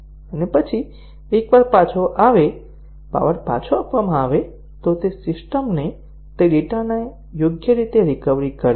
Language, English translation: Gujarati, And then, once the power is given back, does it the systems recover those data properly